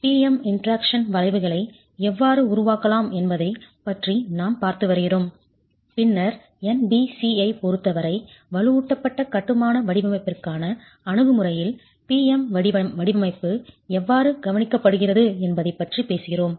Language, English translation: Tamil, We've been looking at how PM interaction curves can be made and then we've been talking about within the approach to reinforce masonry design with respect to NBC, how the PM design is addressed